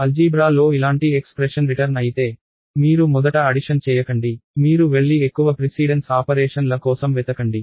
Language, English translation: Telugu, So, in algebra if an expression like this is return, then you do not do the addition first, you go and look for higher precedence operations first followed by lower precedence operations